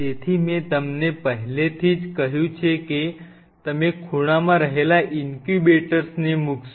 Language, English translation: Gujarati, So, I have already told you that this is where you will be placing the incubators formed in the corners